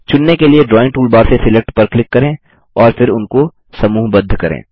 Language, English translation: Hindi, Lets click Select from the Drawing toolbar to select and then group them